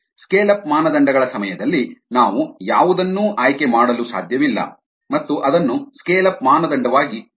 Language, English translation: Kannada, during scale up criteria we cannot choose anything and have that as a scale up criteria